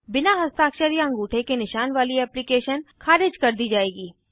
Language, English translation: Hindi, Applications without signature or thumb print will be rejected